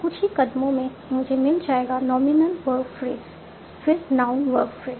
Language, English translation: Hindi, So in some steps I can determine it to the, the nominal verb phrase, the noun, word man